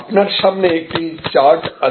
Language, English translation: Bengali, So, this is the chart in front of you